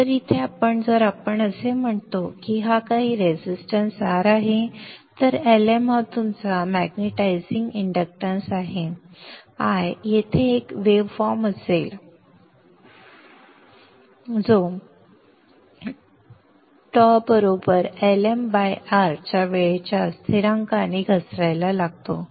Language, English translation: Marathi, So here if I say this is some resistance R and if LM is your magnetizing inductance, the current I here will have a wave shape which starts falling like that with a time constant of tau equals LM by R